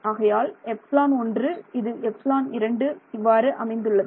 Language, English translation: Tamil, So, this is some epsilon 1, this is some epsilon 2 and so on right